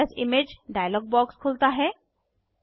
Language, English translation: Hindi, Save As Image dialog box opens